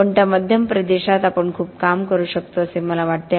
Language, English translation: Marathi, But it is in that middle region that I think we can do a lot of work